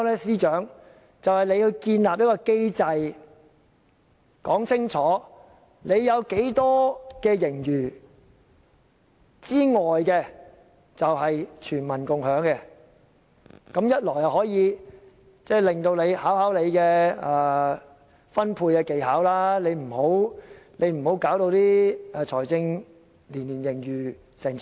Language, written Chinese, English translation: Cantonese, 便是由司長建立一個機制，說清楚有多少盈餘可供全民共享，此舉要考驗司長的財政分配技巧，不要做到年年有過千億元的財政盈餘。, I suggest that the Financial Secretary establish a mechanism stating clearly how much of the surplus is to be shared by the general public . That will test the Financial Secretarys skill in financial distribution and he has to refrain from ending up with a fiscal surplus of over 100 billion every year